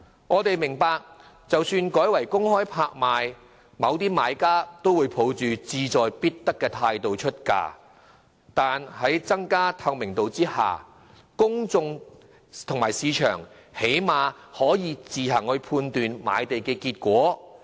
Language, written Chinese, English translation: Cantonese, 我們明白即使改為公開拍賣，某些買家仍會抱着志在必得的態度出價，但在增加透明度下，公眾及市場最少可以自行判斷賣地結果。, We understand that even though land sales are conducted by public auction certain bidders will still participate in bidding with a strong determination to win but given enhanced transparency the public and the market will at least be able to form a judgment themselves on the results of land sales